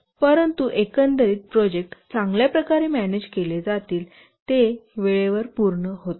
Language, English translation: Marathi, But the overall the project will be managed well it will complete on time